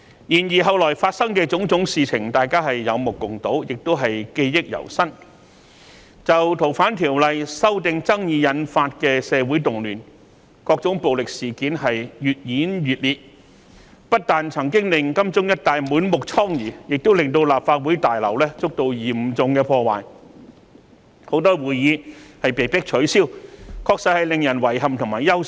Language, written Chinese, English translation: Cantonese, 然後，後來發生的種種事情，大家都有目共睹，亦記憶猶新，就《逃犯條例》修訂引發的社會動亂，各種暴力事件越演越烈，不單曾經令金鐘一帶滿目瘡痍，亦令立法會大樓遭到嚴重破壞，很多會議被迫取消，確實令人遺憾和憂心。, Then various events occurred and they are still fresh in our memory . Social disturbances arose from the opposition to the proposed legislative amendments to the Fugitive Offenders Ordinance and various violent incidents had become more intensified . These incidents not only caused extensive devastation in areas around Admiralty but also seriously damaged the Legislative Council Complex